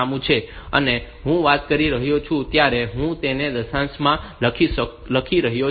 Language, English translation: Gujarati, I am talking I am writing in decimal